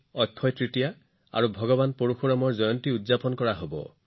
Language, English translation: Assamese, Akshaya Tritiya and the birth anniversary of Bhagwan Parashuram will also be celebrated on 3rd May